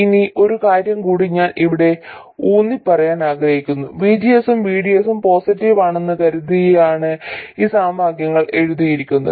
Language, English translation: Malayalam, Now one more thing I want to emphasize here is that these equations are written assuming that both VGS and VDS are positive